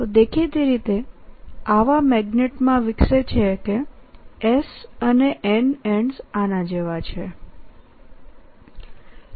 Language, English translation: Gujarati, this obviously develops in such a magnet that s and n ends are like this